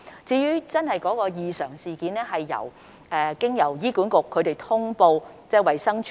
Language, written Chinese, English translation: Cantonese, 在真正的異常事件方面，醫院管理局會通報衞生署。, In the case of those genuine adverse events the Hospital Authority will notify DH